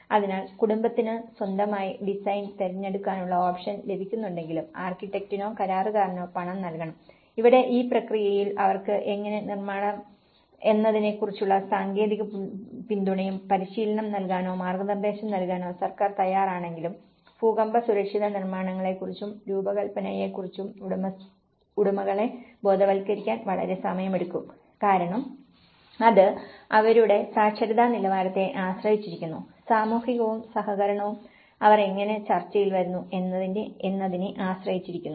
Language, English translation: Malayalam, So, even though the family is getting an option to choose their own design but he has to pay for the architect or the contractor and here, in this process, though the government is ready to give them a training or provide guidance on how to build a technical support, so but it takes a long time to educate the owners about earthquake safe constructions and design because it depends on their literacy levels, depends on the social and cooperation, how they come in negotiation